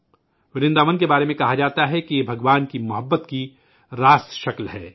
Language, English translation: Urdu, It is said about Vrindavan that it is a tangible manifestation of God's love